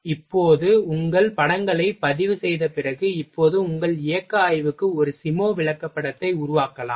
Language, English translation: Tamil, Now, after recording of your images, then you can make a SIMO chart for your motional study now